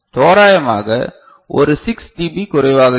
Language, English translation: Tamil, So, roughly one 6 dB less case that is happening